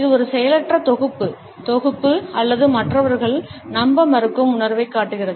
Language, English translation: Tamil, It shows a passive form of synthesis or a sense of disbelieving others